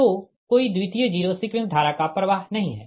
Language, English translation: Hindi, so there is a path for zero sequence current to flow